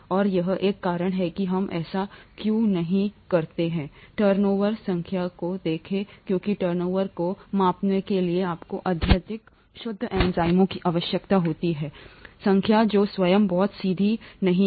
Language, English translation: Hindi, And this is one of the reasons why we don’t look at turnover number because you need highly pure enzymes to even measure turnover number which itself is not very straightforward